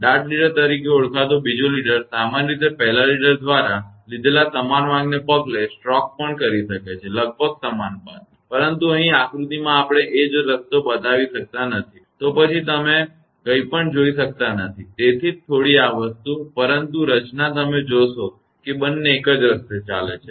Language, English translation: Gujarati, A second leader called dart leader may also stroke usually following the same path taken by the first leader; almost the same path, but here in the diagram we cannot show the same path; then you cannot see anything that is why little bit this thing, but pattern if you see that both are following the same path